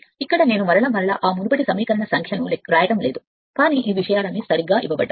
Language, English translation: Telugu, Here no again and again I am not writing those previous equation number, but all these things are been given right